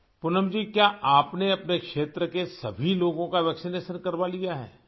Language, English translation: Urdu, Poonam ji, have you undertaken the vaccination of all the people in your area